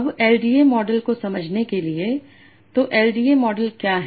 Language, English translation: Hindi, Now to understand the LDA model